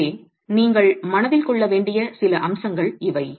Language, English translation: Tamil, So, these are some aspects that you might want to keep in mind